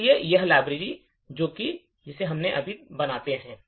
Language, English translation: Hindi, So, this is the library we create